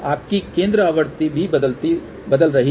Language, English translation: Hindi, Your center frequency is also changing